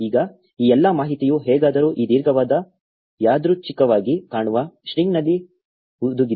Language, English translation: Kannada, Now all of this information is somehow embedded in this long random looking string